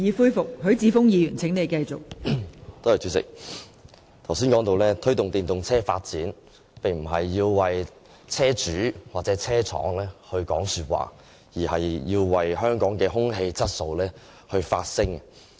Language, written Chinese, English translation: Cantonese, 代理主席，我剛才談到推動電動車發展，並非要為車主或車廠說話，而是為香港的空氣質素發聲。, Deputy President just now I was saying that I raised the issue of promoting the development of EVs for neither for vehicle owners nor manufacturers but out of the concern for the air quality of Hong Kong